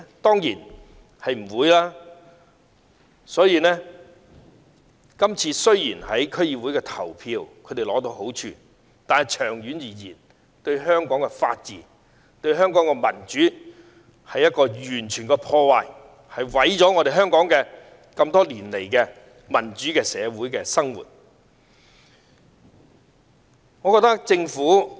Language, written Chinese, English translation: Cantonese, 所以，雖然他們在今次區議會選舉中取得好處，但長遠而言，這樣會破壞香港的法治和民主，毀掉香港經多年建立的民主社會基礎。, Therefore although they have gained so much in the District Council Election they will in the long run do harm to the rule of law and democracy in Hong Kong . They will sabotage the foundation of the democratic society we have taken years to build